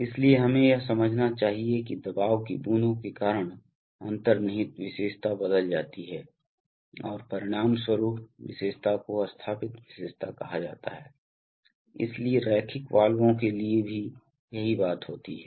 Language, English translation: Hindi, So therefore we must understand that the inherent characteristic gets changed because of pressure drops and the resulting characteristic is called the installed characteristic, so the same thing happens for linear valves